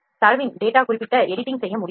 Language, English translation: Tamil, The certain editing of the data can be done